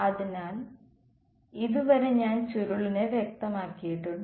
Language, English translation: Malayalam, So, far I have specified the curl